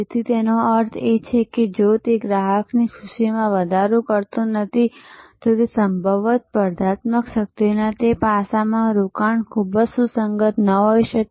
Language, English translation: Gujarati, So, which means that if it is not going to enhance customer delight, then possibly investment in that aspect of the competitive strength may not be very relevant